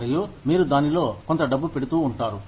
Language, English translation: Telugu, And, you keep putting, some amount of money in it